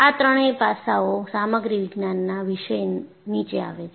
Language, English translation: Gujarati, These three aspects come under the topic of Material Science